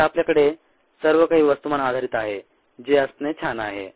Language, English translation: Marathi, now we have everything on a mass basis, which is nice to have